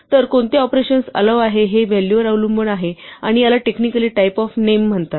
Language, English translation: Marathi, So, what operations are allowed depend on the values and this is given technically the name type